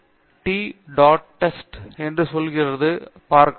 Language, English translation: Tamil, LetÕs see what the t dot test tells me